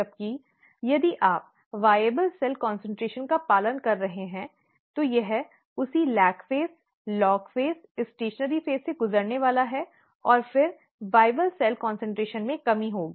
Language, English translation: Hindi, Whereas if you are following the viable cell concentration, it is going to go through the same lag phase, log phase, stationary phase, and then there will be a decrease in the viable cell concentration